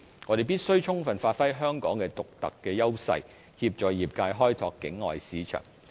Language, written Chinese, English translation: Cantonese, 我們必須充分發揮香港的獨特優勢，協助業界開拓境外市場。, We must give full play to the edges of Hong Kong to assist the professional services industry in developing their external markets